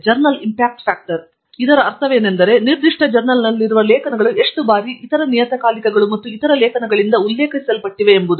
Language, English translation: Kannada, What we mean by journal impact factor is that to see how many times the articles in a particular journal are being referred by other journals and other articles